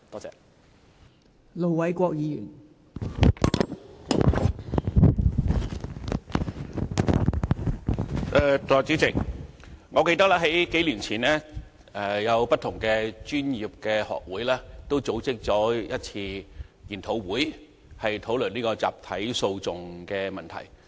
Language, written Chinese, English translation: Cantonese, 代理主席，我記得數年前，不同的專業學會曾組織一次研討會，討論集體訴訟的問題。, Deputy President I recall that a few years ago various professional institutes organized a seminar on class actions